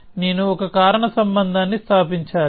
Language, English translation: Telugu, So, I must establish a causal link